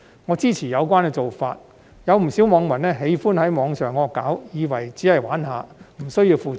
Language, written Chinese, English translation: Cantonese, 我支持有關做法，有不少網民喜歡在網上"惡搞"，以為只是玩玩而已，無需要負責任。, I support this arrangement . A lot of netizens like parodying on the Internet thinking that they are just having fun and do not have to be responsible for their behaviour